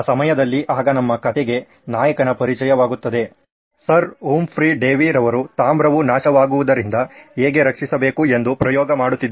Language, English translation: Kannada, So at that time now introduce our hero the story, Sir Humphry Davy was experimenting how to protect copper from corrosion